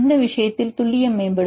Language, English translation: Tamil, In this case you are accuracy will improve